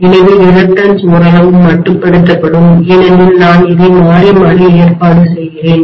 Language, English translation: Tamil, So the reluctance will be somewhat limited because I am alternately arranging this